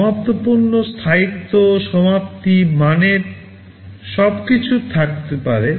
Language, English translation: Bengali, Finished products have to have durability, finishing, quality everything in place